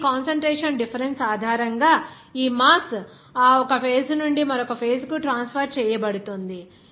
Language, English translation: Telugu, Now, based on this concentration difference, this mass will be transferred from that one phase to another phase